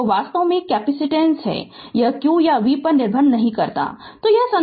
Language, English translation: Hindi, So, in fact capacitance it does not depend on q or v right